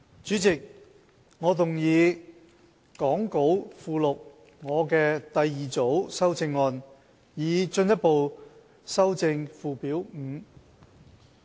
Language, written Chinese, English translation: Cantonese, 主席，我動議講稿附錄我的第二組修正案，以進一步修正附表5。, Chairman I move my second group of amendments to further amend Schedule 5 as set out in the Appendix to the Script